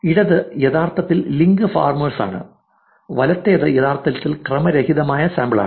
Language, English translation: Malayalam, The left one is actually the link farmers, the right one is actually random sample